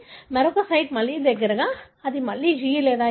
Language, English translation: Telugu, In another site, again near by, it could be again G or A